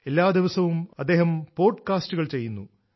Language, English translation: Malayalam, He also does a daily podcast